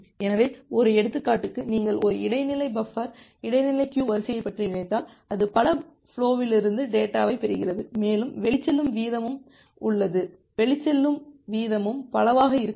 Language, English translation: Tamil, So, as an example, if you just think of an intermediate buffer intermediate buffer queue it is receiving data from multiple flows and there is some outgoing rate the outgoing rate can also be multiple